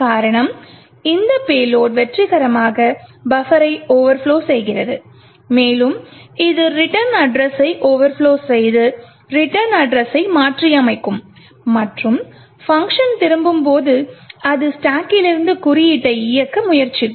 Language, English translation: Tamil, The reason being is that this payload would successfully overflow the buffer and it will overflow the return address and modify the return address and at the return of the function it would try to execute code from the stack